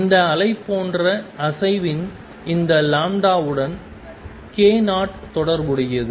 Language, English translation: Tamil, Where k naught is related to this lambda of this undulation